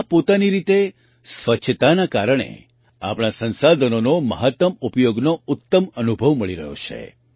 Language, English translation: Gujarati, Due to this cleanliness in itself, we are getting the best experience of optimum utilizations of our resources